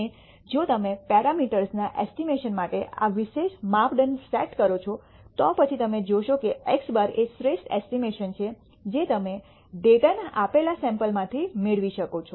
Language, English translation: Gujarati, And if you set up this particular criterion for estimating parameters you will nd that x bar is the best estimate that you can get from the given sample of data